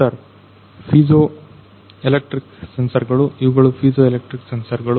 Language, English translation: Kannada, Sir piezoelectric sensors, these are piezoelectric sensors